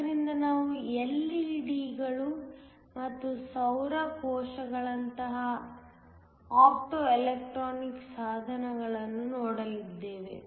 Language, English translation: Kannada, So, we are going to look at Optoelectronic devices like LED's and Solar cells